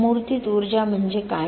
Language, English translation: Marathi, What is embodied energy